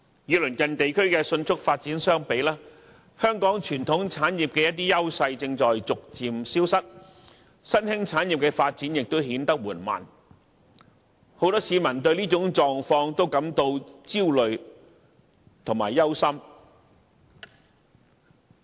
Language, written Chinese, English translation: Cantonese, 與鄰近地區的迅速發展相比，香港傳統產業的優勢正逐漸消失，新興產業的發展亦顯得緩慢，很多市民都對這種狀況感到焦慮和憂心。, In contrast to its neighbours which have undergone rapid development Hong Kong has seen the gradual disappearance of the advantages enjoyed by its traditional pillar industries and the sluggish development of new ones . Many people are very concerned and worried about such a situation